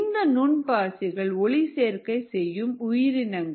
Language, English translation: Tamil, micro algae happen to be photosynthetic organisms